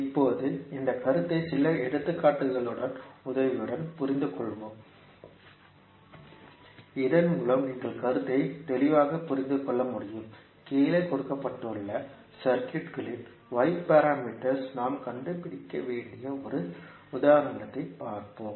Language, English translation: Tamil, Now, let us understand this understand this particular concept with the help of few examples, so that you can understand the concept clearly, let us see one example where we have to find out the y parameters of the circuit given below